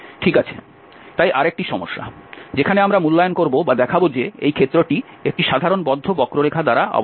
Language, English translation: Bengali, Well, so, another problem where we will evaluate or will show that the area of this bounded by a simple close curve